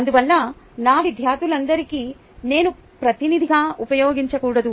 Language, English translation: Telugu, therefore, i should not use myself as a representative of all my students